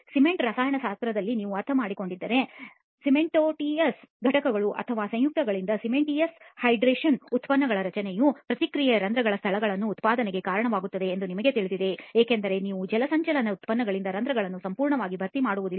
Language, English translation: Kannada, If you have understood cement chemistry you know that the reaction of formation of cementitious hydration products from the cementitious components or compounds leads to the generation of pores spaces because you do not have a complete filling of the pores by the hydration products